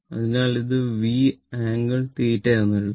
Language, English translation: Malayalam, So, this can be written as V angle theta